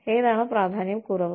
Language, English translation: Malayalam, Which is less important